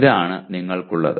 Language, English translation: Malayalam, This is what you have